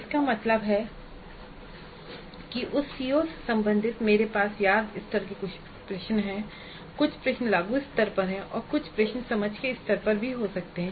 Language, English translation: Hindi, That means related to that COO I can have some questions at remember level, some questions at apply level and some questions at the understand level also